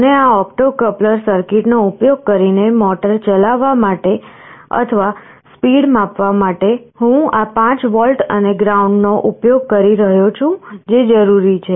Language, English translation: Gujarati, And for driving this motor or speed sensing using this opto coupler circuit, I am using this 5 volts and ground that are required